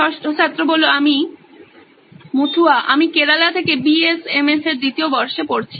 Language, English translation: Bengali, I am Muthua I am from Kerala studying 2nd year BSMS